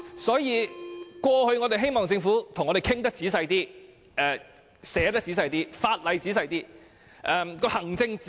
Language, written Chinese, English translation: Cantonese, 所以，我們希望政府與我們仔細討論，也會仔細撰寫法例和行政指引。, Therefore we hope that the Government will discuss matters with us and draft the law and administrative guidelines carefully